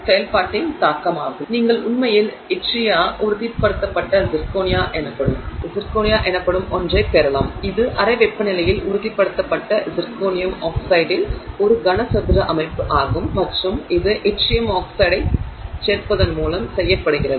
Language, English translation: Tamil, So, you can actually get something called itria stabilized zirconia which is cubic structure of zirconia oxide stabilized at room temperature and that is done by adding itrium oxide